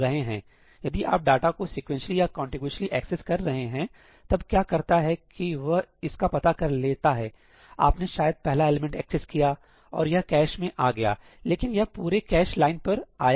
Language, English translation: Hindi, So, if you are accessing data sequentially, contiguously, then what it does is that, it is able to figure that out; maybe you access the first element, it got it into the cache, but in got that entire cache line, right